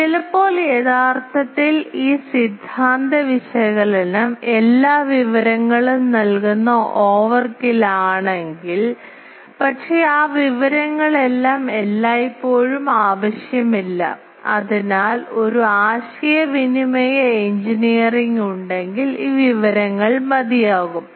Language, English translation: Malayalam, So, sometimes actually if this theory analysis is overkill that it gives all the information, but all that information is not always necessary, so if a communication engineering these information is enough